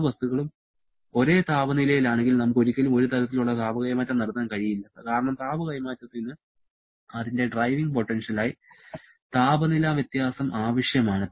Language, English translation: Malayalam, If both the bodies are at the same temperature, then we can never have any kind of heat transfer because heat transfer requires the temperature difference as its driving potential